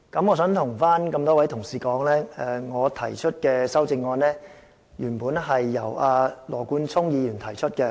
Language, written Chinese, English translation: Cantonese, 我想對各位議員說，我提出的修正案原本是由羅冠聰議員提出的。, I would like to tell Members that these amendments put forward by me are originally proposed by Mr Nathan LAW